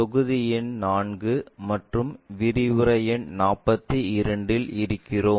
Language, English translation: Tamil, We are covering module number 4 and lecture number 42